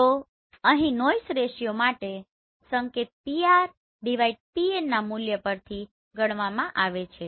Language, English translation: Gujarati, So here the signal to noise ratio is calculated this Pr/Pn